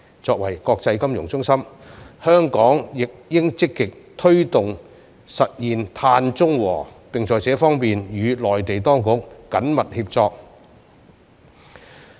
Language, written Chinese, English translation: Cantonese, 作為國際金融中心，香港亦應積極推動實現碳中和，並在這方面與內地當局緊密協作。, As an international financial centre Hong Kong should also proactively promote to achieve carbon neutrality and closely collaborate with Mainland authorities in this regard